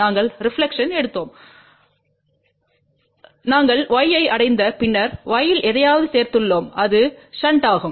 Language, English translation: Tamil, We took the reflection, we reach to y and then we added something in y which was shunt